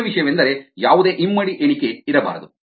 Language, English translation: Kannada, the main thing is they should not be any double counting